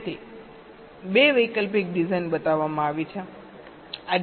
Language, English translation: Gujarati, so two alternate designs are shown